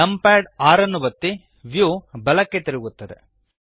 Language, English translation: Kannada, Press num pad 6 the view rotates to the right